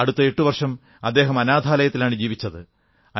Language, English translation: Malayalam, Then he spent another eight years in an orphanage